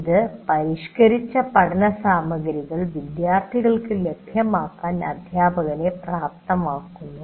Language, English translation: Malayalam, And it enables the teacher to make the curated learning material available to the students